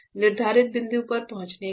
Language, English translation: Hindi, After reaching that set point